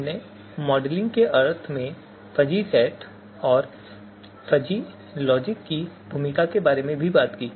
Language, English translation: Hindi, We talked about the role of you know fuzzy sets and fuzzy logic in the modeling sense